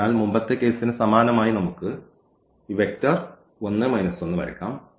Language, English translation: Malayalam, So, similar to the previous case let us draw this vector here 1 minus 1